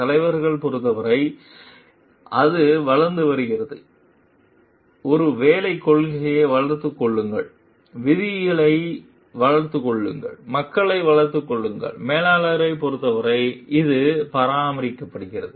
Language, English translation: Tamil, For leaders, it is develop and develop maybe policies, develop rules, develop the people; and for managers, it is maintain